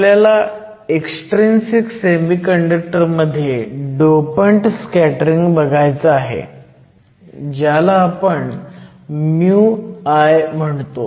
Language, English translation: Marathi, So, we want to look at the dopants scattering in an extrinsic semiconductor, we call this mu i